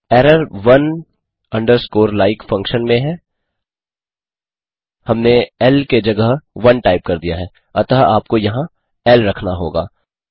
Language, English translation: Hindi, The error is in the one underscore like function we typed one instead of l so you have to put l there